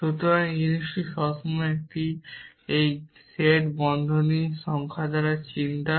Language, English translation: Bengali, So, it always worry about the number of brackets in this set of thing